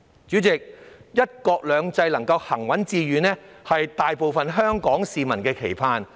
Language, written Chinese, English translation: Cantonese, 主席，"一國兩制"行穩致遠，是大部分香港市民的盼望。, President most Hong Kong people hope to see the steadfast and successful implementation of one country two systems